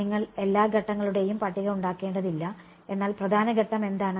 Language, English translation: Malayalam, You do not have to list all the steps, but what is the main step